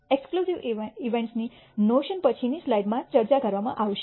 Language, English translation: Gujarati, The notion of exclusive events will be discussed in the subsequent slide